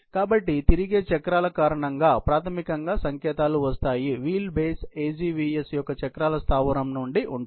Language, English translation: Telugu, So, that is how basically, the signals come, because of the rotating wheels; wheel base; from the wheel base of the AGVS